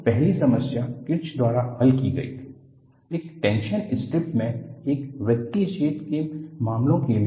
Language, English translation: Hindi, So, the first problem was solved by Kirsch, for the case of a circular hole in a tension strip